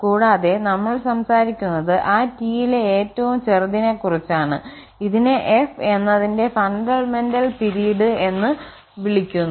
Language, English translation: Malayalam, And as a whole we are talking about the smallest of such T for which this equality is true and this is called the fundamental period of t